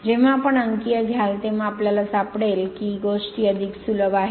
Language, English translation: Marathi, When you will take numericals at the time you will find things are much easier right